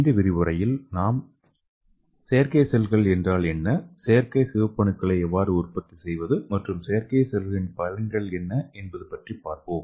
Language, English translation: Tamil, So in this lecture we are going to learn what is artificial cells, and how to make artificial RBC and also various applications of artificial cells